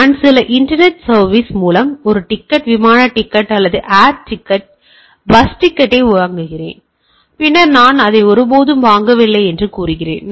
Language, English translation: Tamil, I buy a ticket, air ticket or l ticket or bus ticket through some internet service, and then I say I never bought that right